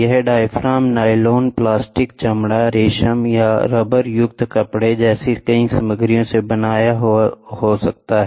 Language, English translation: Hindi, This diaphragm may be made of a variety of material such as nylon, plastic, leather, silk or rubberized fabric